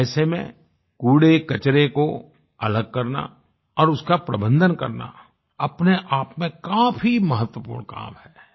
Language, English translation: Hindi, In such a situation, the segregation and management of garbage is a very important task in itself